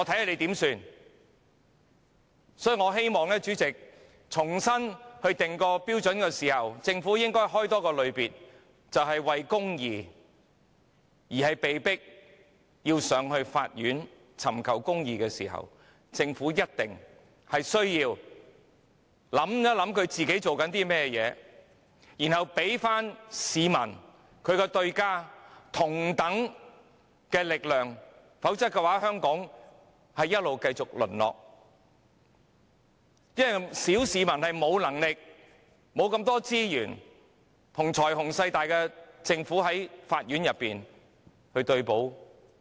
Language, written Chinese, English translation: Cantonese, 所以，主席，我希望政府在重新訂立標準時，應增設一個類別，就是市民為公義而被迫上法院尋求公義的時候，政府必須考慮自己正在做甚麼，然後給其對手——即市民——同等力量，否則香港會不斷淪落，因為小市民沒有能力和資源，與財雄勢大的政府對簿公堂。, Thus President I hope that the Government will create another category when it is resetting the standards . When members of the public are forced to seek justice through legal proceedings in court the Government must consider what it is doing and then give its opponents―members of the public―the same capability; otherwise Hong Kong will continue to deteriorate . Members of the public do not have the financial means and resources to go to Court with the Government which has great financial strength